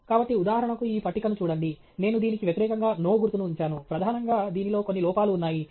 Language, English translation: Telugu, So, for example, look at this table, I have put a NO sign against it, mainly because it has some errors